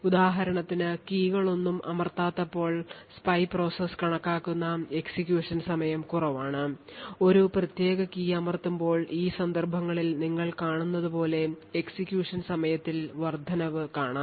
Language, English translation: Malayalam, So, for example when no keys are pressed the execution time which is measured by the spy process is low and when a particular key is pressed then we see an increase in the execution time as you see in these instances